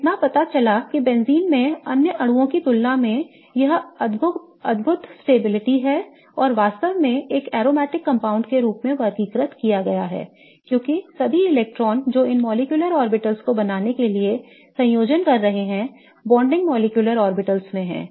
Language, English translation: Hindi, Now, it so turns out that benzene has this amazing stability as compared to other molecules and really is categorized as an aromatic compound is because all the electrons that are combining to form these molecular orbitals lie in the bonding molecular orbitals, okay